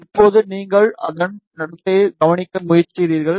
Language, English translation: Tamil, Now, you try to observe its behavior